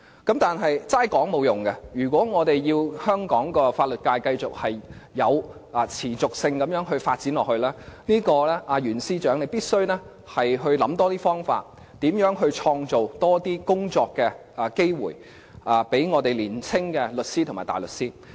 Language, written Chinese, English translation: Cantonese, 但是，只是說話是沒有用的，如果我們要香港法律界持續地發展，袁司長必須多想方法，如何創造更多工作機會予年青的律師和大律師。, However mere talks are useless . If we want Hong Kongs legal sector to develop continuously the Secretary of Justice Mr YUEN must find more ways to create more job opportunities for our young solicitors and barristers